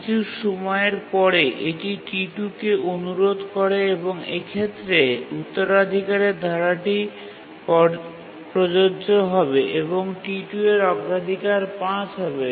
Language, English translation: Bengali, And after some time it requests T2 and in this case the inheritance clause will apply and the priority of T2 will become 5